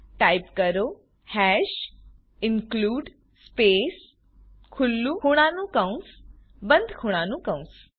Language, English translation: Gujarati, Type hash #include space opening angle bracket closing angle bracket